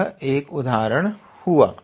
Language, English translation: Hindi, So, this is one such example